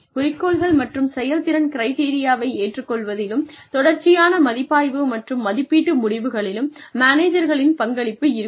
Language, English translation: Tamil, The participation of managers, in agreeing to objectives and performance criteria, the continual review and appraisal of results